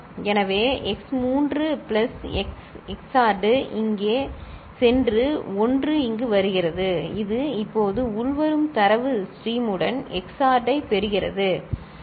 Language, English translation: Tamil, So, x 3 plus x XORed here going here and 1 is coming over here which is now getting XORed with the incoming data stream, right